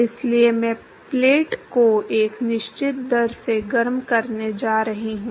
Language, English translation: Hindi, So, I am going to heat the plate at a certain rate